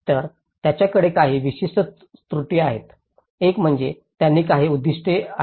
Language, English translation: Marathi, So, they have certain visions; one is they have certain objectives